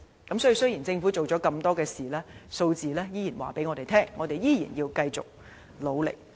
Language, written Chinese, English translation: Cantonese, 所以，雖然政府做了那麼多工作，有關數字依然顯示，我們仍要繼續努力。, Despite all these efforts devoted by the Government the figures still indicated that there is no room for complacency